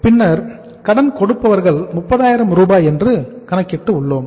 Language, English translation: Tamil, Then we have calculated the sundry creditors 30,000